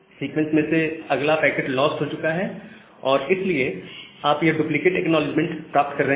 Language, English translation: Hindi, So the very next packet in the sequence that have been lost, so that is why, you are getting this duplicate acknowledgement